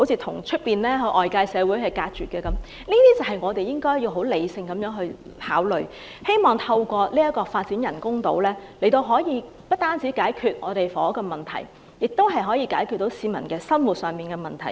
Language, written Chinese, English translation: Cantonese, 對於以上各點，我們都應理性地考慮，希望透過發展人工島，不但可以解決房屋問題，並且可以解決市民生活上的問題。, We should rationally consider the above mentioned points in the hope that the development of artificial islands will not only resolve the housing problem but also meet the daily needs of the people